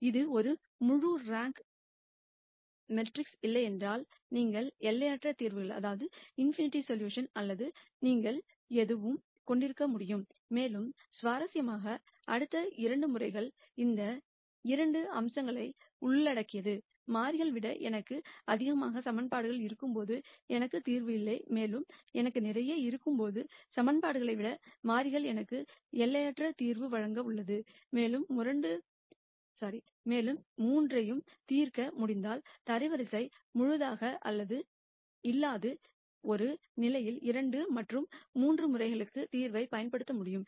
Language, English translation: Tamil, And if it is not a full rank matrix then you could have in nite solutions or no solutions, and interestingly the next 2 cases covers these 2 aspects when I have lot more equations than variables I have a no solution case, and when I have lot more variables than equations I have infinite solution case and since we are able to solve all the 3 we should be able to use the solution to the case 2 and 3 for the case one where the rank is not full